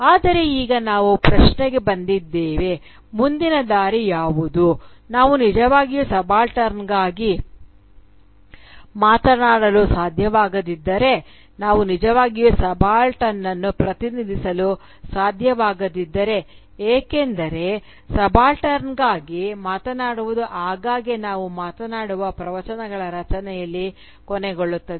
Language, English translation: Kannada, But, now we come to the question then, that what is the way forward if we cannot really speak for the subaltern, if we cannot really represent the subaltern, because speaking for the subaltern often ends up in creation of discourses where we speak actually for ourselves and not for the subaltern